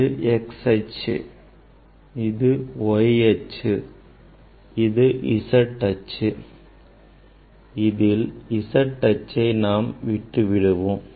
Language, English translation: Tamil, this is the x axis this is the y axis and then this is the z axis